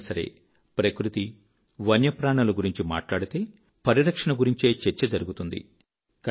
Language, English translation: Telugu, Whenever we talk about nature and wildlife, we only talk about conservation